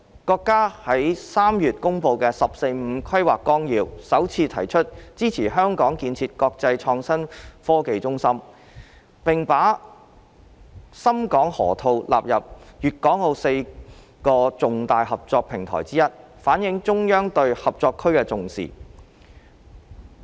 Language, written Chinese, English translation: Cantonese, 國家於3月公布的《十四五規劃綱要》，首次提出支持香港建設國際創新科技中心，並把深港河套納入粵港澳4個重大合作平台之一，反映了中央對合作區的重視。, The Outline of the 14 Five - Year Plan promulgated by the country in March indicates for the first time support for Hong Kongs development into an international IT hub and the Shenzhen - Hong Kong Loop has been included as one of the four major platforms of cooperation between Guangdong Hong Kong and Macao . This highlights the importance the Central Authorities attaches to the Co - operation Zone